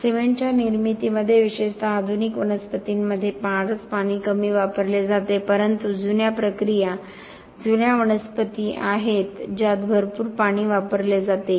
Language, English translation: Marathi, In the manufacture of cement very little water is used especially in the modern plants however there are old processes older plants which use a lot of water